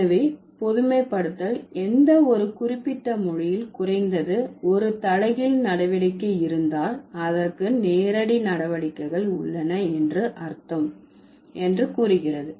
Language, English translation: Tamil, So, the generalization says that if there is at least one inverse operation is there in any given language, that would imply that the direct operations are also there